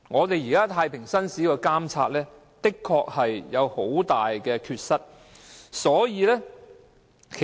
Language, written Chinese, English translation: Cantonese, 現時太平紳士的監察制度，的確有很大缺失。, The present JP monitoring system is indeed rather defective